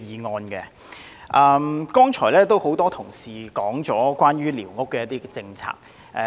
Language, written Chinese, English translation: Cantonese, 多位議員剛才提及關於寮屋的政策。, Various Members talked about the policy on squatter structures just now